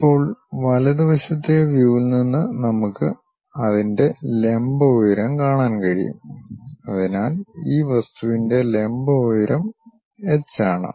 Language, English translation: Malayalam, Now from the right side view, we can see the vertical height of that so the vertical height of this object is H